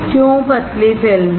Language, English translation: Hindi, Why is it thin film